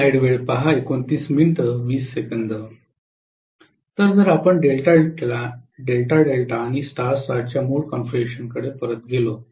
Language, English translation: Marathi, So if we go back to our original configuration of delta delta and star star